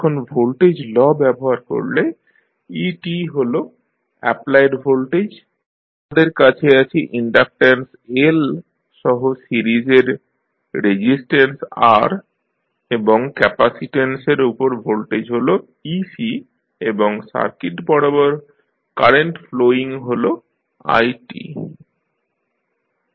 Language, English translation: Bengali, Now, when you use the voltage law so et is the applied voltage, we have resistance R in series with inductance L and the voltage across capacitance is ec and current flowing through the circuit is it